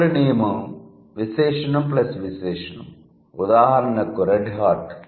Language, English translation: Telugu, Then the next rule is adjective plus adjective, red hot